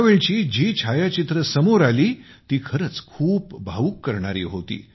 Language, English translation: Marathi, The pictures that came up during this time were really emotional